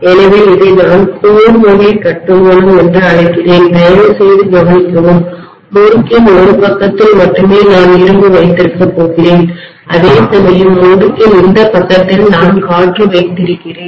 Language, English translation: Tamil, So I call this as core type construction, please note that only on one side of the winding I am going to have iron whereas this side of the winding I am having air, right